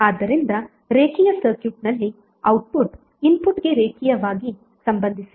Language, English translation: Kannada, So in the linear circuit the output is linearly related to it input